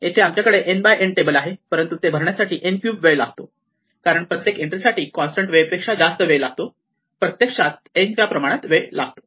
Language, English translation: Marathi, Here, we have a table which is n by n, but it takes n cube time to fill it up because each entry it requires more than constant time, it actually takes time proportional to n